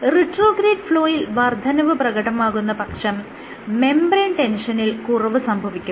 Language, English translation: Malayalam, So, increase retrograde flow would decrease the membrane tension